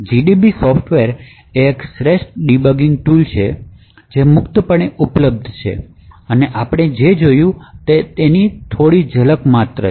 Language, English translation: Gujarati, So gdb is one of the best debugging softwares that are available, it is freely available and what we actually capture is just the small glimpse of what gdb can do